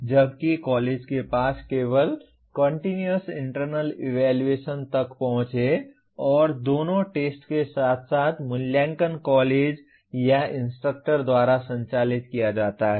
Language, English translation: Hindi, Whereas the college has only access to Continuous Internal Evaluation and both the tests as well as evaluation is conducted by the college or by the institructor